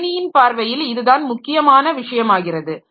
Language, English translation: Tamil, So, from computer point of view, so this is the point